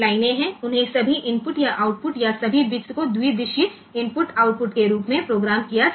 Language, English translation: Gujarati, So, they can be programmed as all input or output or all bits as bidirectional input output